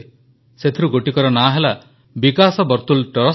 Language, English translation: Odia, Of these one is Vikas Vartul Trust